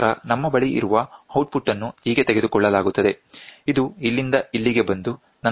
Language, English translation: Kannada, And then what we have is we have an output which is taken so, this from here it can come to here and then plus 1